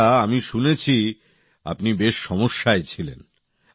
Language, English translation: Bengali, Well I heard that you were suffering